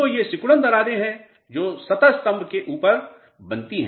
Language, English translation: Hindi, So, these are shrinkage cracks which develop on the top of the surface